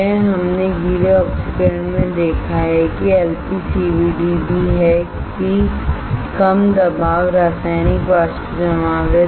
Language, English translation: Hindi, That we have seen in the wet oxidation that is also LPCVD that is also Low Pressure Chemical Vapor Deposition